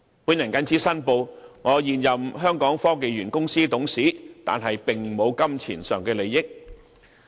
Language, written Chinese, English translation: Cantonese, 我謹此申報我是香港科技園公司的現任董事，但並無金錢上的利益。, I would like to declare that I am now a member of the Board of Directors of Hong Kong Science and Technology Parks Corporation but no pecuniary interest is involved